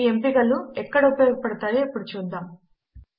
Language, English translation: Telugu, Let us see where this options are useful